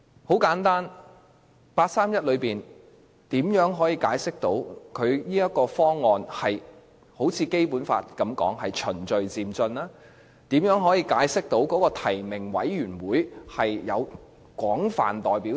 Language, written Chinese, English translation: Cantonese, 很簡單，八三一方案如何解釋這方案是如《基本法》所訂般屬於循序漸進，以及如何解釋提名委員會具有廣泛代表性？, Very simply how does the 31 August package explain that it follows the principle of gradual and orderly progress as stated in the Basic Law and how does it explain that the nomination committee is broadly representative?